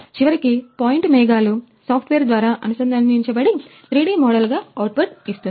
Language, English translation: Telugu, So, ultimately the point clouds will be connected through a software that will give you the output as a 3D model